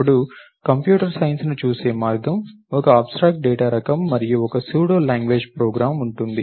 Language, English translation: Telugu, Then, a more Computer Science way of looking at it is, an abstract data type and a pseudo language program